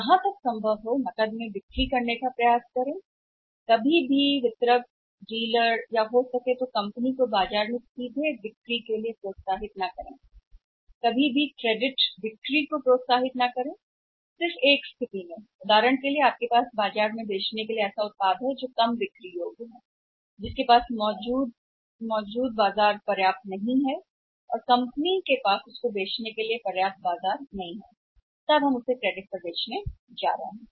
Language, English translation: Hindi, If it is possible try to sell maximum on cash never to do not encourage distributors, dealer or maybe the company directly selling in the market, do not encourage the credit sale only in the situation for example if you are say having a product of selling a product in the market which is less saleable in the market which does not have the same sufficient market existing of for the product of which company there is no sufficient market then we are going to sell on credit